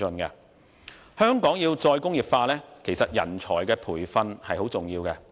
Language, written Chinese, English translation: Cantonese, 香港要"再工業化"，其實人才的培訓很重要。, In order for Hong Kong to implement re - industrialization the training of talent is very important